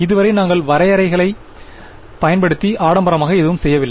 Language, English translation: Tamil, So far we have not done anything fancy we have just used definitions